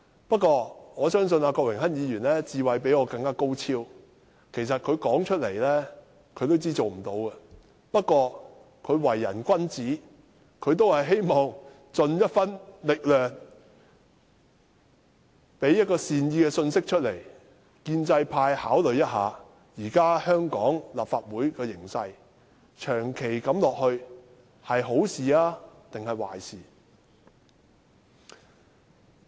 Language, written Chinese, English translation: Cantonese, 不過，我相信郭榮鏗議員的智慧較我高超，他也自知行不通，只是他為人君子，希望盡一分力量提出善意信息，讓建制派趁機考慮，香港立法會目前的形勢若長此下去，究竟是好事還是壞事。, I however trust that Mr Dennis KWOKs political wisdom is higher than mine . He knows that it is futile to do so yet being upright he wishes to make an effort by giving out a goodwill message thereby giving the pro - establishment camp a chance to consider whether it is good or bad for the Legislative Council of Hong Kong to be in such a state for long